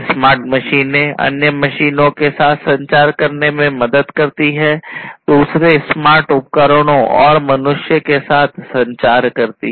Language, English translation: Hindi, Smart machines help in communicating with other machines, communicating with other smart devices, and communicating with humans